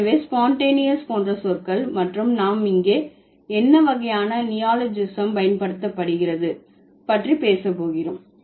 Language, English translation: Tamil, So, the words like Spunctaneous and we are going to talk about what sort of process like what sort of neologism has been used here, which process of neologism